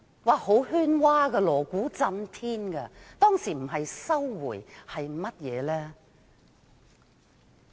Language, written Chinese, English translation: Cantonese, 一片喧嘩，鑼鼓震天，當時不是收回香港主權是甚麼？, If it was not to celebrate Chinas resumption of sovereignty over Hong Kong what was it?